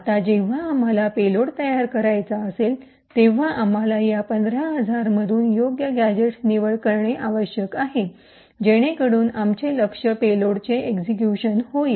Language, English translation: Marathi, Now whenever we want to build a payload, we need to select appropriate gadgets from these 15000 so that our target payload execution is achieved